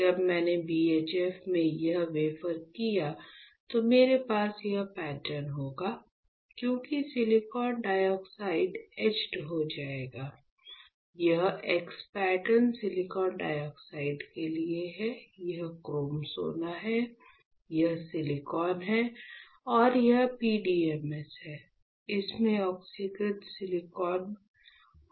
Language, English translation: Hindi, When I did this wafer in BHF what will I have, I will have this pattern ok; because the silicon dioxide will get etched, this x pattern is for silicon dioxide right, this is my chrome gold, this is silicon, and this one is PDMS, you can have oxidized silicon, silicon alright